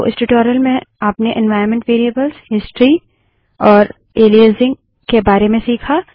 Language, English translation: Hindi, So, in this tutorial, you have learned about environment variables, history and aliasing